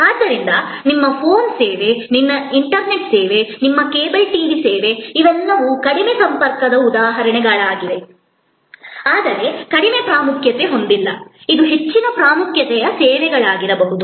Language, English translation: Kannada, So, your phone service, your internet service, your cable TV service, these are all examples of low contact, but not low importance, it could be very high importance service